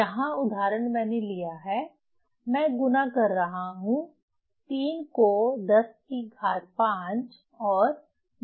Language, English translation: Hindi, So, here example I have taken, I am multiplying say 3 into 10 to the 4, 1